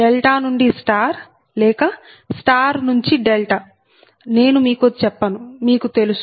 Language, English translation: Telugu, i do not tell you delta to star or star to delta, you know it right